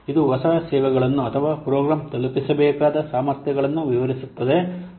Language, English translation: Kannada, It describes the new services or the capabilities that the program should deliver